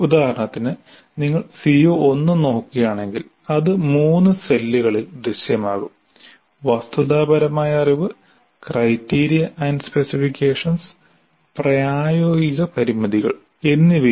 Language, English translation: Malayalam, And if you look at CO1 for example, it will appear in three cells right from factual knowledge, criteria and specifications and practical constraints